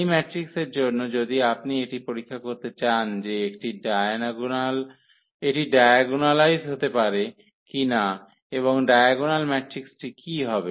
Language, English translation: Bengali, So, for this matrix also if you want to check whether it can be diagonalized or not and what will be the diagonal matrix